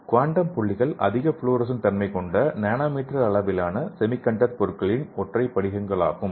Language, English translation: Tamil, So the quantum dots are highly fluorescent, nanometer size, single crystals of semiconductor materials okay